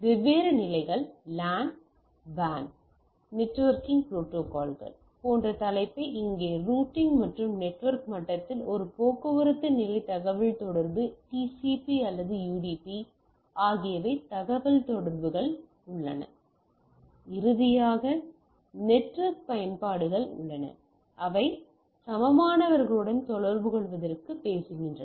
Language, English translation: Tamil, Here mostly what we have seen topic like LAN WAN networking protocols of different levels say routing and at the network level that a transport level communication TCP or UDP there are communication at the and finally, we have network applications which talk to peer to peer communication right